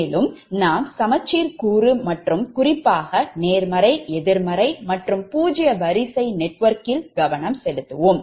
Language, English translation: Tamil, so more will concentrate on symmetrical component and particularly positive, negative and zero sequence network, right, and how to make this thing